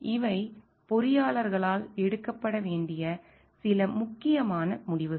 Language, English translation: Tamil, These are certain crucial decisions, which needs to be taken by the engineers